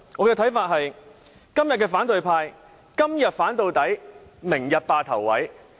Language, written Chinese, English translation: Cantonese, 我覺得今天反對派是"今天反到底，明天霸頭位"。, I think the opposition camp will oppose it no matter what today and try to grab the front seats tomorrow